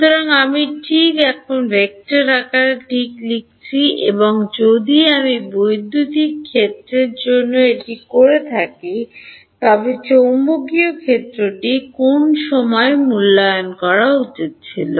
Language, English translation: Bengali, Delta t right; so, I am just writing right now in vector form right and if I have done this for the electric field then the magnetic field would have should have been evaluated at what time